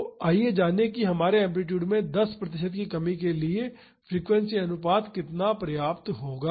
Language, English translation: Hindi, So, let us find out how much frequency ratio will suffice for our 10 percent reduction in amplitude